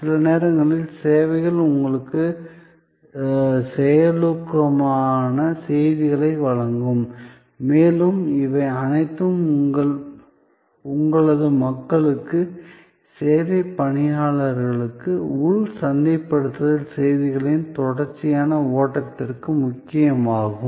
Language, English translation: Tamil, Sometimes, there are services were they will provide you proactive messages and all these to make it happen, it is also important to internally to your people, the service personnel, a continuous flow of internal marketing messages